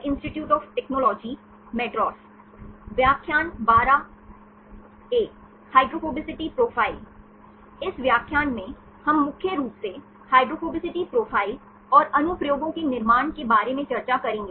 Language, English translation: Hindi, In this lecture, we will mainly discuss about the construction of hydrophobicity profiles and the applications